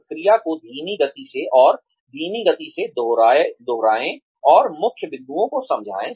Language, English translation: Hindi, Repeat the process, at a slower pace, and at a slower speed, and explain the key points